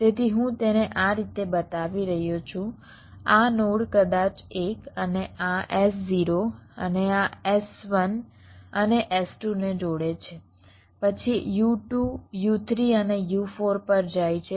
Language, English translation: Gujarati, so i am showing it like this: this node maybe one and this s zero, and this connects to s one and s two